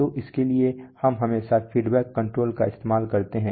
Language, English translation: Hindi, So for that we always use feedback control